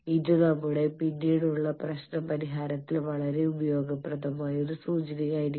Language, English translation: Malayalam, This will have a very useful implication in our later problem solving